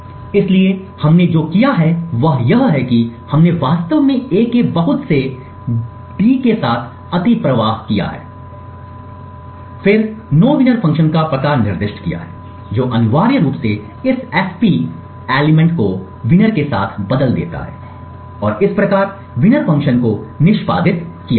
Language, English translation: Hindi, So what we have done is that we have essentially overflowed d with a lot of A’s in fact 72 A’s and then specified the address of the nowinner function which essentially replaces this invocation this fp thing with winner thus the winner function would get executed